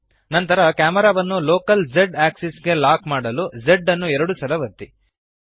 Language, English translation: Kannada, Then press Z twice to lock the camera to the local z axis